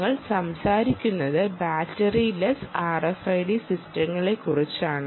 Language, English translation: Malayalam, remember we are talking about battery less r f i d systems